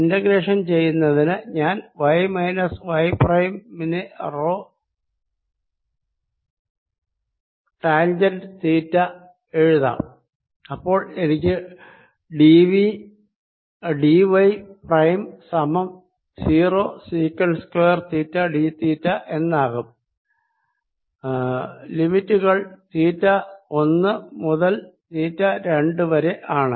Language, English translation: Malayalam, to perform the integral, let me write: y minus y prime equals rho, tangent of theta, so that i have minus d y prime equals rho secant square, theta d theta and the limits r from theta one equals tan inverse y plus l by two over rho